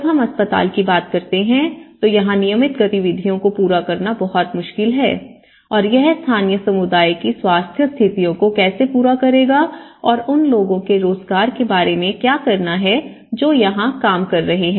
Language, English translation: Hindi, When we say hospital has been obvious, it is very difficult to carry on the regular activities and how it has to serve the local communityís health conditions and what about the employment of those people who are working